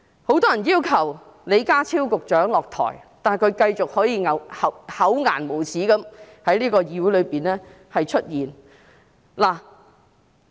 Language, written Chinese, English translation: Cantonese, 很多人要求李家超局長下台，但他可以繼續厚顏無耻地在議會內出現。, Many people demanded Secretary John LEE to step down but he could continue to show up in the Council shamelessly